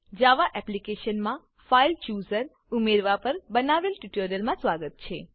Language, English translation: Gujarati, Hello Welcome to the tutorial on Adding a File Chooser to a Java Application